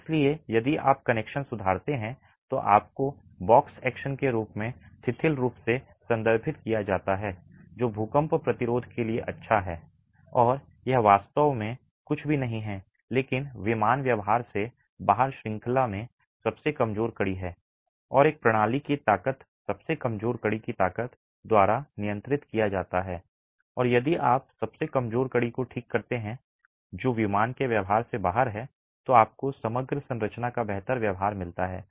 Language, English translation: Hindi, If you improve connections you get what is referred loosely as box action which is good for earthquake resistance and this is really nothing but the out of plain behavior is the weakest link in the chain and the strength of a system is regulated by the strength of the weakest link and if you fix the weakest link which is the out of plain behavior you get better behavior of the overall structure